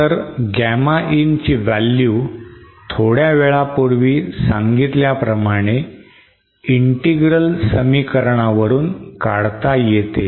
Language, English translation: Marathi, So Gamma in value is found using the integral expression that we have described earlier just a few moments ago